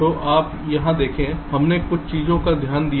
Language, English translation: Hindi, ok, so you see, here we looked at a few things